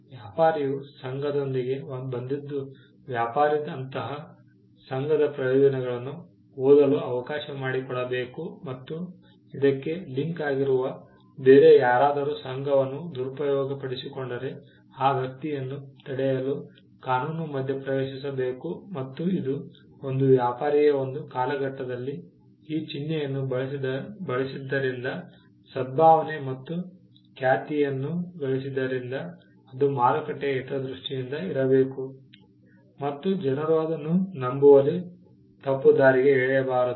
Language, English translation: Kannada, The fact that, the trader came up with the association, the trader should be allowed to read the benefits of such association and link to this is the fact that if someone else exploited the association then, the law should intervene to stop that person and this also had was tied to the fact that, that because a trader has used the mark over a period of time and has generated goodwill and reputation, it should be in the interest of the market as well that, people are not misled in into believing that, someone else’s product is that of the traders product